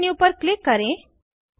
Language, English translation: Hindi, Click on the View menu